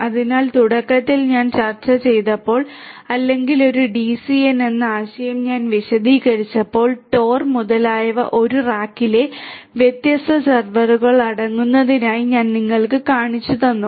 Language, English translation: Malayalam, So, essentially at the outset when I discussed or when I explained the concept of a DCN the architecture that I had showed you consisting of different servers in a rack having TOR etcetera etcetera that is basically 3 tier architecture